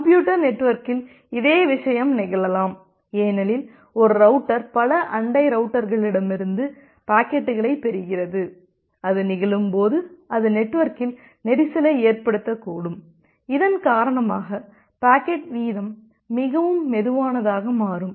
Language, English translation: Tamil, The same thing can happen in a computer network because a router is receiving packets from multiple other neighboring routers and when it happens, it may it may result in a congestion in the network, because of which the rate of packet becomes very slow